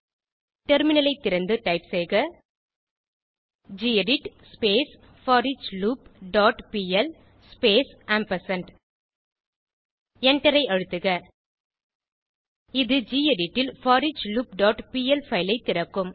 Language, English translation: Tamil, Open the Terminal and type gedit foreachLoop dot pl space ampersandand Press Enter This will open the foreachLoop.pl file in gedit